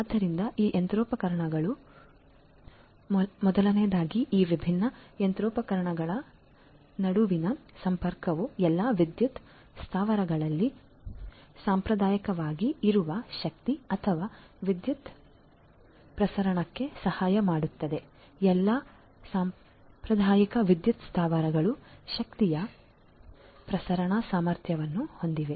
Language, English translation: Kannada, So, these machinery number one is this connectivity between these different machinery can help in the transmission, transmission of energy or electricity which is they are traditionally in all power plants all the traditional power plants have the capability of transmission of energy